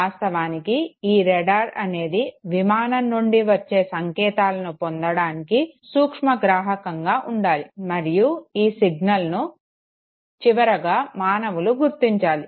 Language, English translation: Telugu, And the radar of course has to be sensitive enough to receive the signal back from the flight and finally signal has to be detected by a human being